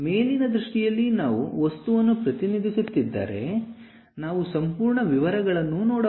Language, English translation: Kannada, In top view if we are representing the object, the complete details we can see